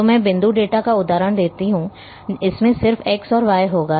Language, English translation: Hindi, So, I give the example of point data, it will have just x and y